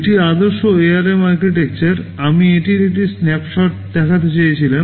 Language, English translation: Bengali, TSo, this is the typical ARM typical architecture, I just wanted to show you just a snapshot of it